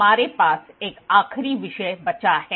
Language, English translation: Hindi, We are left with one last topic